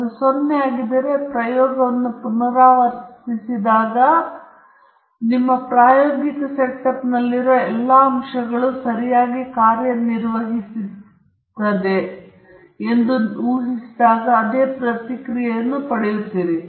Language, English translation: Kannada, If it is 0, then when you repeat the experiment, and assuming that all the components in your experimental setup are working perfectly, you will get the same response